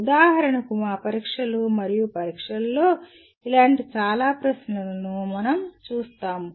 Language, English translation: Telugu, For example we come across many such questions in our tests and examinations